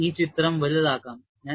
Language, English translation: Malayalam, And I will magnify this picture